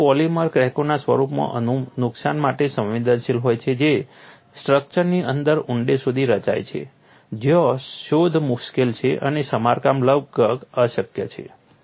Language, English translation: Gujarati, Structural polymers are susceptible to damage in the form of cracks, which form deep within the structure where detection is difficult and repair is almost impossible